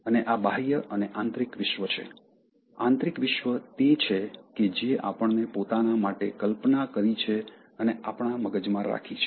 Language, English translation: Gujarati, And there is this external and internal world; the internal world is the one that we have conceived for ourselves and kept in our mind